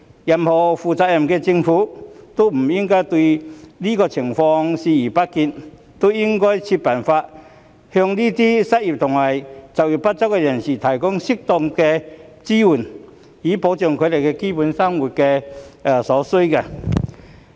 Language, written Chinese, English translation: Cantonese, 任何負責任的政府也不應對這情況視而不見，應該設法向這些失業及就業不足人士提供適當的支援，以保障他們的基本生活所需。, Any responsible government should not turn a blind eye to such a situation . It should endeavour to provide appropriate support for these unemployed and underemployed people so as to ensure that they can meet their basic needs in living